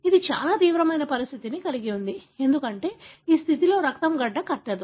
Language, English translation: Telugu, It has a very very severe condition, because in this condition the blood will not clot